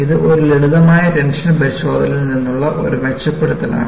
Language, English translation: Malayalam, So, it is an improvement from a simple tension test